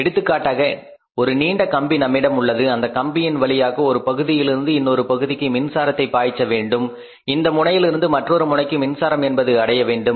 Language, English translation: Tamil, For example now you talk about a long wire we have a long wire from here to here and you have to pass electricity through this wire so starting from this point it has reach up to this point